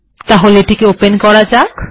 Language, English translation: Bengali, So let me open this